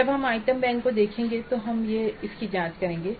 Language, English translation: Hindi, We'll examine that when we look into the item banks